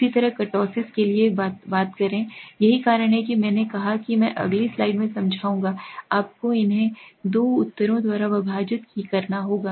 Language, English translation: Hindi, Similarly the same thing for the kurtosis, that is why I said I will explain in the next slide, you have to divide these two and check